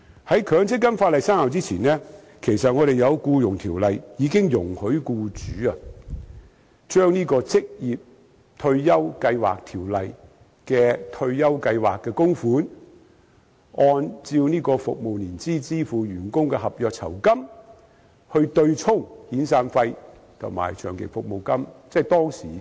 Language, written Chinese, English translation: Cantonese, 在強積金法例生效之前，《僱傭條例》已經容許僱主將《職業退休計劃條例》的退休計劃供款，或按照服務年資支付予員工的合約酬金，對沖遣散費和長期服務金。, Before the MPF legislation came into force the Employment Ordinance already allowed employers to use contributions made to retirement schemes under the Occupational Retirement Schemes Ordinance or gratuities based on length of service payable to employees to offset severance payments and long service payments